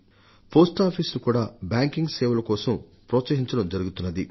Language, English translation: Telugu, Post offices have also been geared up for banking services